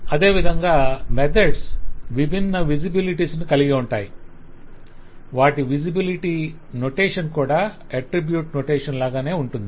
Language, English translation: Telugu, Methods have similarly different visibilities and the visibility notation is same as of the attribute